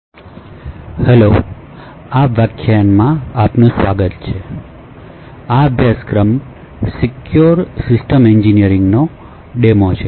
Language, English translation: Gujarati, and welcome to this lecture so this is the demo in the course for in secure systems engineering